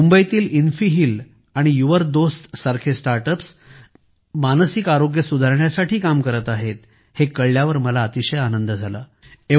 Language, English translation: Marathi, I am very happy to know that Mumbaibased startups like InfiHeal and YOURDost are working to improve mental health and wellbeing